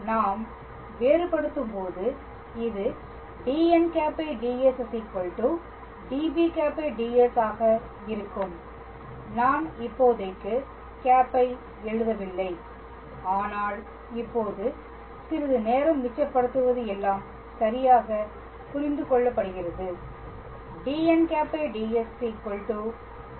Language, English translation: Tamil, So, when we differentiate this will be dn cap by d s equals to d b ds, I am not writing cap for the moment, but it is understood all right just to save some time now b cross dt d s